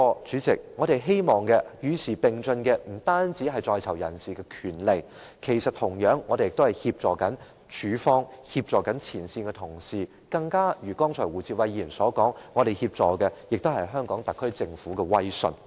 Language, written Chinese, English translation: Cantonese, 主席，我們希望不單在囚人士的權利會與時並進，同樣地，我們亦希望協助署方和前線同事，正如胡志偉議員剛才所說，我們也想協助香港特區政府保持威信。, President we hope that prisoners rights can progress abreast of the times . Likewise we also hope to assist CSD and its frontline personnel . Just as Mr WU Chi - wai asserted just now we also wish to assist the HKSAR Government in maintaining its authority